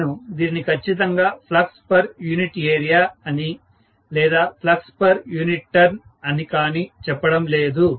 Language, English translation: Telugu, So I am getting a measure of flux, I am not saying it is exactly flux per unit area, flux per whatever unit turn, I am not saying that at all